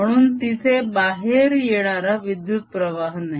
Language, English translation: Marathi, so there is no current, so there's nothing coming out of current